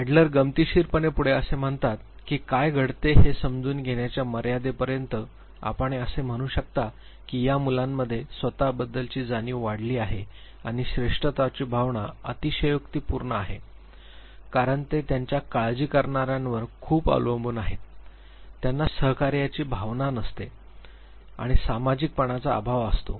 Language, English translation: Marathi, And interestingly Adler goes to the extent of explaining what happens if you are the only child in the family he says that these children have inflated self concept and exaggerated sense of superiority they become too dependent on their care givers they lack feeling of cooperation and they also lack social interest